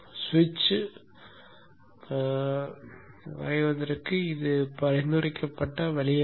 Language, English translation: Tamil, This is not a recommended way of drawing the switch